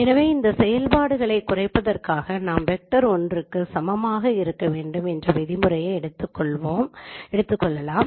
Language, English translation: Tamil, So we would put a constraint on this minimization that norm of this this vector should be equal to one